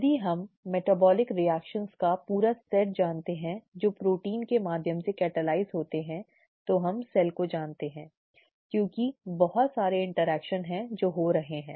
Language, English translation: Hindi, If you know the complete set of metabolic reactions that the proteins catalyse through and so on so forth, we know the cell because there are so many interactions that are taking place and so on